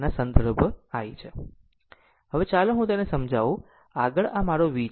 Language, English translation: Gujarati, Now, next is let me clear it, next is my V